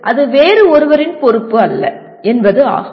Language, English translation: Tamil, That it is not responsibility of somebody else